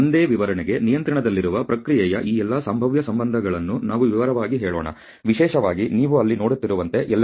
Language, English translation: Kannada, And let us just detail all these possible relationships of a process in control to a single specification particularly the LSL as you are seeing there